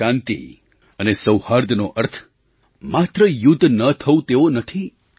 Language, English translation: Gujarati, Today, peace does not only mean 'no war'